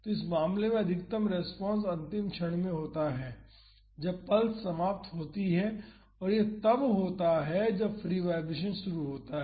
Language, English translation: Hindi, So, in this case the maximum response occurs at the last moment, that is when the pulse ends and that is when the free vibration starts